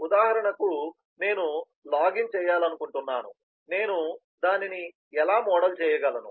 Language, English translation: Telugu, for example, i want to do a login, how do i model that